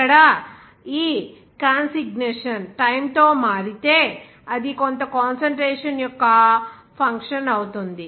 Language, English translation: Telugu, So here, if suppose this consignation change with time, that will be a function of some concentration